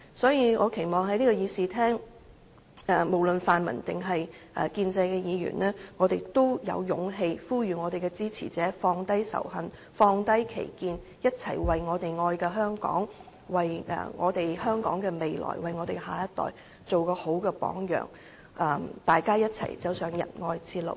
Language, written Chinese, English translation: Cantonese, 所以，我期望在這個議事廳，無論是泛民還是建制派議員，都能有勇氣呼籲支持者放低仇恨，放低歧見，一同為我們愛的香港、為香港的未來、為我們的下一代做一個好榜樣，大家一同走上仁愛之路。, So I hope that Members in this Chamber no matter whether they come from the pan - democratic camp or the pro - establishment camp have the courage to call upon our supporters to set aside hatred and set aside discrimination and make concerted efforts to set a good example for Hong Kong which we all love for the future of Hong Kong and for our future generations so that we can walk hand in hand on the road of love